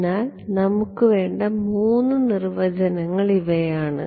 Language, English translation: Malayalam, So, these are the 3 definitions that we need ok